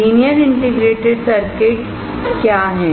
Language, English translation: Hindi, What are linear indicator circuits